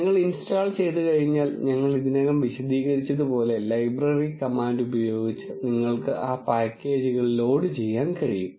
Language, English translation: Malayalam, And once you install, you can load those packages using the library command as we have explained already